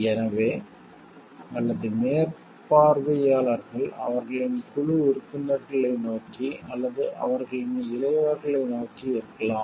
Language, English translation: Tamil, So, or the supervisors may have towards the team members or their juniors